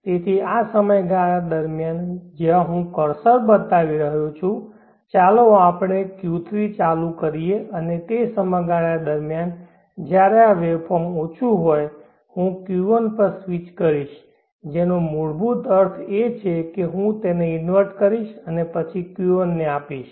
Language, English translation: Gujarati, So during this period where I am showing the cursor, let us switch on Q3 and during the period when this waveform is low, I will switch on Q1 what it basically means is that I will invert it and then give it to the Q1